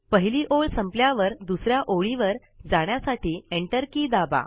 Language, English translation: Marathi, When you reach the end of the line, press the Enter key, to move to the second line